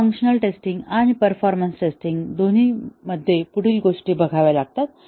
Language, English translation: Marathi, So, both functional testing and the performance testing